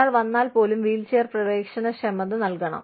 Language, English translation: Malayalam, Even, if one person comes, you must provide, the wheelchair accessibility